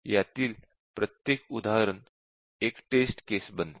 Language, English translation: Marathi, And then each of these becomes test case